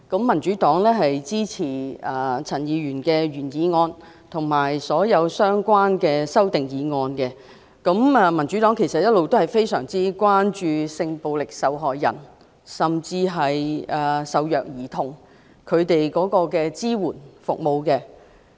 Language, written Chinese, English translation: Cantonese, 民主黨會支持陳議員的原議案及所有相關的修正案，因為我們一直非常關注為性暴力受害人和受虐兒童提供的支援服務。, The Democratic Party will support Dr CHANs original motion and all the relevant amendments because we have been very concerned about the support services provided for sexual violence victims and abused children